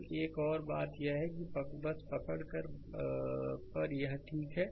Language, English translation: Hindi, So, another thing is just hold on just hold on it is ok